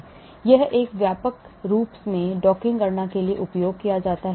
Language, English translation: Hindi, so it is widely used for docking calculation